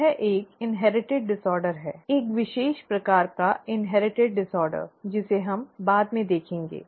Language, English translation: Hindi, That is an inherited disorder; a special type of inherited disorder as we will see later